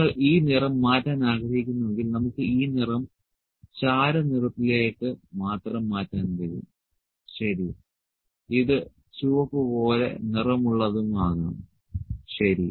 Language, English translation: Malayalam, So, if you like to change this colour we can change this colour to the gray only, ok, and this can be coloured maybe red, ok